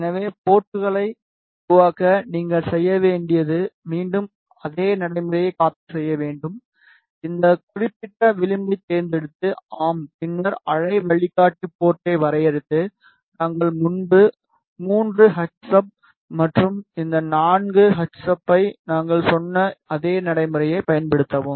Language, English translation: Tamil, So, to make ports all you need to do is again replicate the same procedure, select this particular edge yes then define waveguide port and use the same procedure as we told you earlier 3 into hsub and this 4 into h substrate